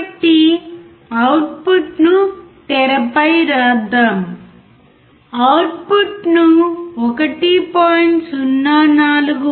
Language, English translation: Telugu, So, let us write down output on the screen, we will write output as 1